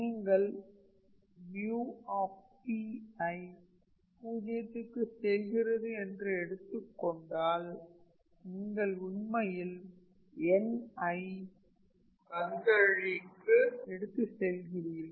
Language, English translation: Tamil, So, that when you make mu P goes to 0 you are actually making n tends to infinity